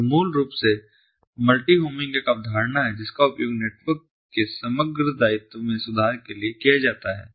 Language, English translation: Hindi, so basically, multi homing is a concept that is used for improving the overall liability of the network